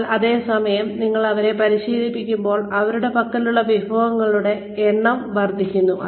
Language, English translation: Malayalam, And, but at the same time, when we train them, the number of resources they have, at their disposal increases